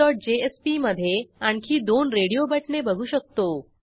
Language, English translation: Marathi, We can see that in the adminsetion.jsp there are two more radio buttons